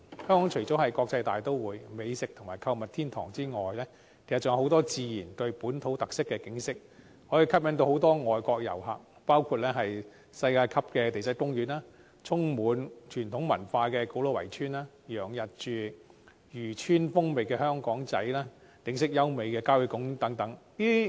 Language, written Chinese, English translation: Cantonese, 香港除了是國際大都會、美食及購物天堂外，還有很多自然和具本土特色的景點，可以吸引很多外國旅客，包括世界級的地質公園、充滿傳統文化的古老圍村、洋溢漁村風情的香港仔、景色優美的郊野公園等。, Besides being an international metropolis a gourmet and shopping paradise Hong Kong has many natural attractions with local characteristics that can attract many foreign visitors including the world - class Geopark ancient walled villages with traditional cultural features Aberdeen the fishing village and country parks with beautiful scenery etc